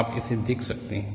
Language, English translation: Hindi, We can have a look at this